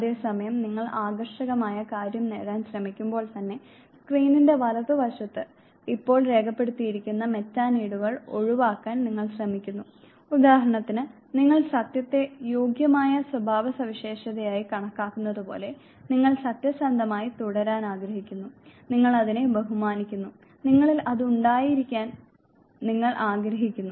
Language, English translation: Malayalam, Whereas at the same time you try to achieve the desirable thing you also try to avoid the now characteristics the Metaneeds which are now penned down on the right side of the screen, say like you consider truth to be worthy characteristics, you would like to remain truthful you honor it, you respect it, you would like to have that in you, but at the same time you would also like to be away from dishonesty you would like to goodness in you, but at the same time you will try your best not to be able